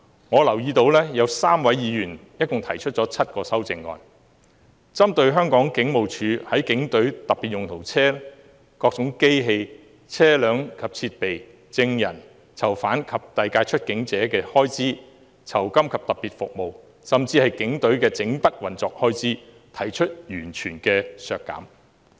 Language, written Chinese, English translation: Cantonese, 我留意到有3位議員共提出7項修正案，提出完全削減香港警務處警隊特別用途車輛；機器、車輛及設備；證人、囚犯及遞解出境者；酬金及特別服務；甚至警務處全年運作的預算開支。, I noticed that three Members have proposed a total of seven amendments to reduce the estimated expenditures on police specialised vehicles; plant vehicles and equipment; witnesses prisoners and deportees; rewards and special services; and even the annual operating expenses of the Hong Kong Police Force